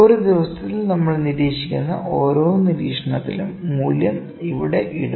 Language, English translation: Malayalam, Then we at each observation that we are having in a day will just put the value here, ok